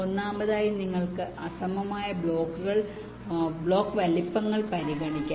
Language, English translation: Malayalam, firstly, you can consider unequal block sizes